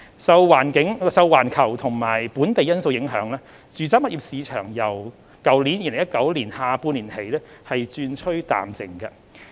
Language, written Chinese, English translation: Cantonese, 受環球和本地因素影響，住宅物業市場由2019年下半年起轉趨淡靜。, Owing to global and local factors the residential property market has turned quieter since the second half of 2019